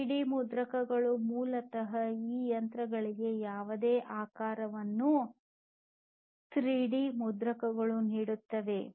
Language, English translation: Kannada, 3D printers, basically, you know, you give any shape these machines 3D printers